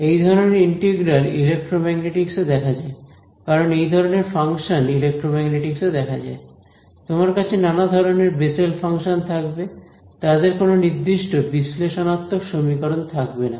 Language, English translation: Bengali, These kind of integrals they appear throughout electromagnetics because, the kinds of functions that appear in electromagnetics you will have Bessel functions of various kinds, they do not have any close form analytical expression